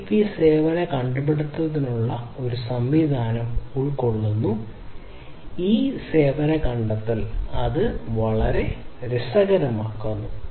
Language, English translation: Malayalam, So, CoAP includes a mechanism for service discovery and it is this service discovery that makes it very interesting